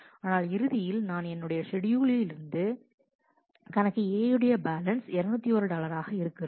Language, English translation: Tamil, But at the end what I have according to the schedule is account A has a balance which is 201 dollar